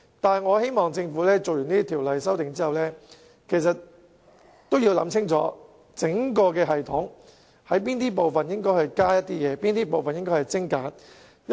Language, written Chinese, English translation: Cantonese, 不過，我希望在完成對《條例草案》的修訂後，政府可想清楚應在整個系統的哪個部分增加及精簡步驟。, But I hope that the Government can think clearly about which segments of the whole system warrant more steps or fewer steps